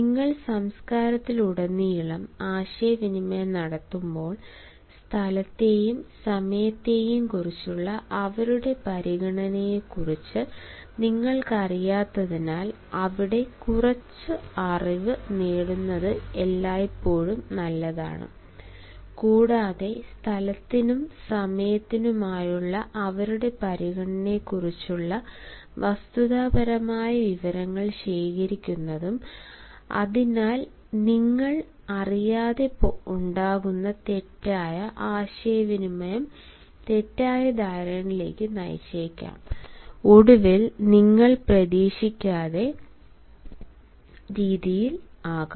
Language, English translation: Malayalam, while you are communicating across cultures, since you are not aware of their consideration for space and time, it is always better to have some knowledge, and it is advisable to gather factual information about their consideration for space and time, so that you may not create any miscommunication which may lead to misconception and finally result in a way which you might not have anticipated